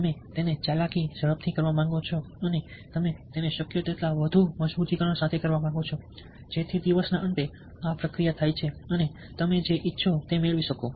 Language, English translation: Gujarati, you want to do it quickly, you want to do it with as much reinforcement as possible so that, at the end of the day, this process takes place and you are able to get what you want